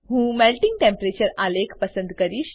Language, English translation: Gujarati, I will select Melting Temperature chart